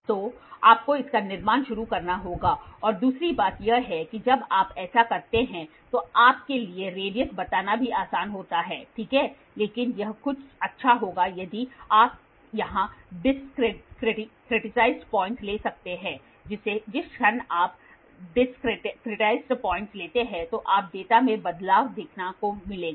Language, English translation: Hindi, So, you have to start constructing it, and second thing is see when you do this it is also easy for you to tell the radius, ok, but it will be good if you can take discretized point here moment you take discretized point then you will see a variation in the data